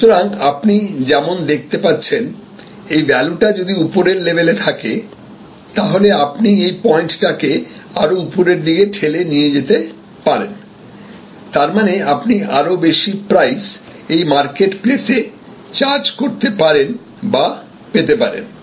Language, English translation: Bengali, So, obviously as you can see that, if the value perceived is at a high level, then you can possibly push this point upwards, which means you can charge or you can get again a higher price level in the market place